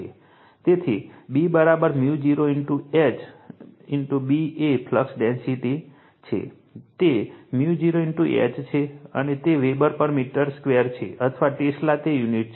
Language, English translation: Gujarati, So, B is equal to mu 0 into H, B is the flux density, it is mu 0 into H and it is Weber per meter square or Tesla it is unit is right